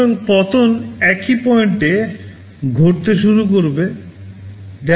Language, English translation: Bengali, So, the fall will start happening at the same point W